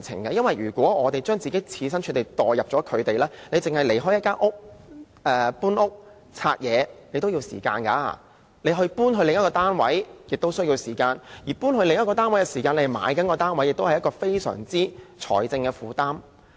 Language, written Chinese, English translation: Cantonese, 易地而處，試想在原來的單位收拾和清拆東西需要時間，搬往另一個單位亦需要時間，而同時購買一個新單位，是非常沉重的財政負擔。, Putting ourselves in their shoes it takes time to pack and remove things in the original flat and move to another one and if at the same time a new flat is purchased it would impose a very heavy financial burden on them